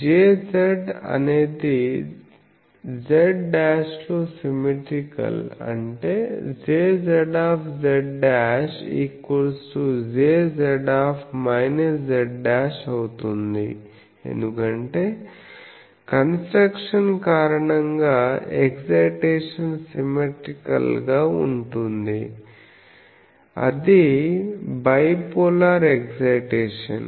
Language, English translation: Telugu, J z is symmetrical in z or z dash that that means J z z dash is equal to J z minus z dashed, because of the structure the excitation is symmetrical, so bipolar excitation, so these